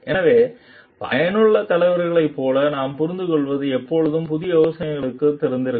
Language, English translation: Tamil, So, what we understand like effective leaders are always open to new ideas